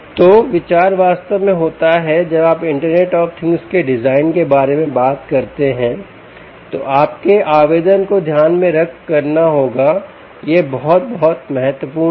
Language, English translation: Hindi, so the idea really is, when you talk about the design for internet of things, you have to keep in mind the application